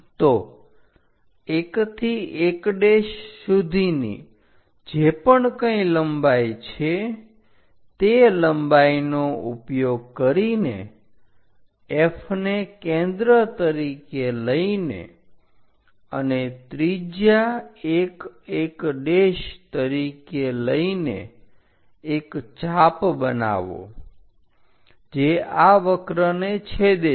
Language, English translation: Gujarati, So, whatever 1 to 1 dash length use that length from focus as centre, with F as centre and radius 1 1 dash make an arc which intersect this curve